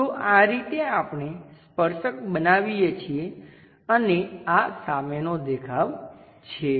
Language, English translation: Gujarati, So, this is the way we construct a tangent and this is front view